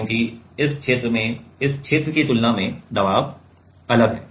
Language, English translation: Hindi, Because it has in this region the pressure is different from compared to this region